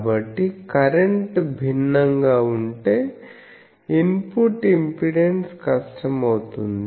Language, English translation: Telugu, So, if the current is different then, the input impedance will be difficult